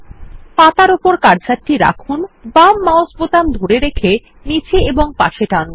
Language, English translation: Bengali, Place the cursor on the page, hold the left mouse button and drag downwards and sideways